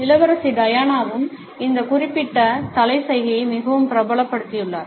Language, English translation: Tamil, Princess Diana has also made this particular head gesture very famous